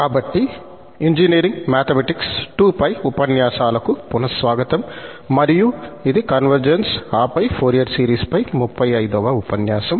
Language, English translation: Telugu, So, welcome back to lectures on Engineering Mathematics II and this is lecture number 35 on Convergence of Fourier series